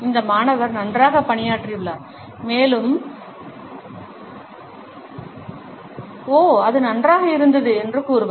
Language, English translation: Tamil, This student have fared well, and would say, ‘oh, it was good’